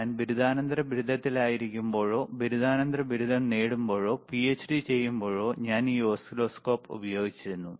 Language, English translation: Malayalam, wWhen I was in my undergrad, or when I was doing my post graduation, or even I when I was doing my PhD I used this oscilloscope